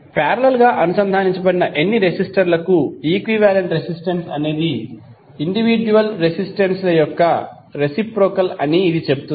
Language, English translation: Telugu, This says that equivalent resistance of any number of resistors connected in parallel is the reciprocal of the reciprocal of individual resistances